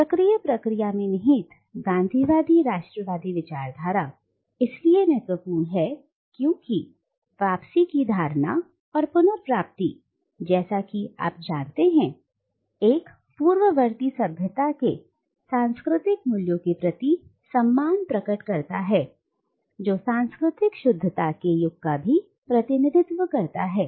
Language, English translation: Hindi, In the cyclical pattern underlying the Gandhian nationalist discourse therefore, the notion of return and the recovery which is crucial as you will know signifies a reverting back to the civilizational values of a precolonial past which represents an era of cultural purity